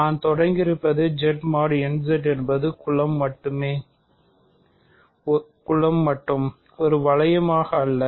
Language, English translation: Tamil, What I have started with is Z mod n Z is considered as a group only, not as a ring